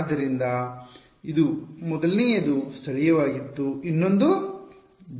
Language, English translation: Kannada, So, this was the first one was local the other one was global